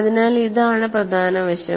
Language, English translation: Malayalam, So, this is the key aspect